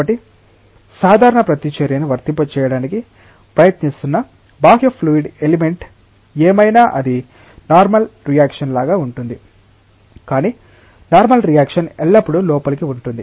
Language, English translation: Telugu, So, whatever is the outer fluid element that is trying to apply a normal reaction it is like a normal reaction, but the normal reaction is inward always